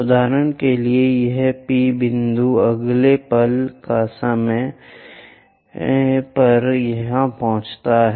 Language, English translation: Hindi, For example, this P point, next instant of time reaches to somewhere there